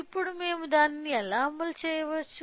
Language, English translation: Telugu, Now, how can we implement it